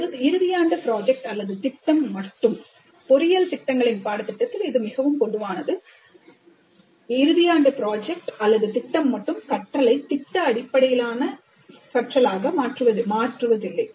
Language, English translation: Tamil, A final year project alone that is quite common in the curricula of engineering programs, but that alone does not make the program as project based program